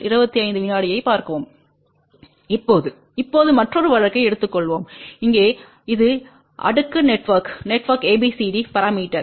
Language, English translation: Tamil, Now, let us just take a another case now here it is ABCD parameters for cascaded network